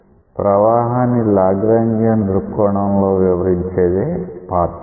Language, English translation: Telugu, It is the description of a flow from a Lagrangian viewpoint